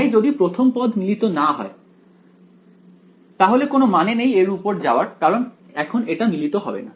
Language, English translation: Bengali, So, if the first term itself does not converge there is no point going for that now its not going to converge